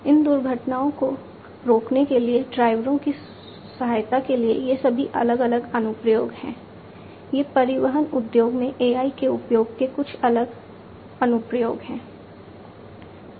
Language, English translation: Hindi, Like this assisting drivers to prevent accidents these are all different applications; these are some of the different applications of use of AI in transportation industry